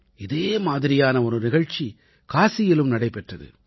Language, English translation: Tamil, One such programme took place in Kashi